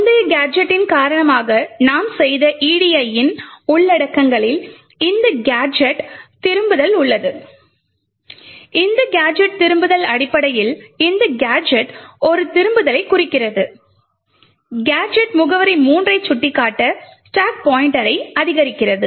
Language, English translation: Tamil, Now the contents of the edi what we have done due to the previous gadget contains this gadget return, this gadget return essentially is pointing to this gadget comprising of just a return, simply increments the stack pointer to point to gadget address 3